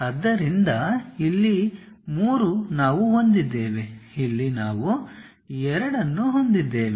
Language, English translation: Kannada, So, here 3 we have, here we have 2